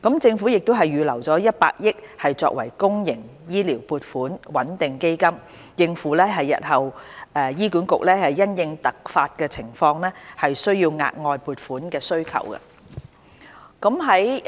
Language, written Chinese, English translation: Cantonese, 政府亦已預留100億元作公營醫療撥款穩定基金，應付日後醫管局因突發情況需要額外撥款的需求。, The Government has also earmarked 10 billion for the setting up of a public healthcare stabilization fund so as to prepare for any additional funding which may be required by HA in case of unexpected circumstances in the future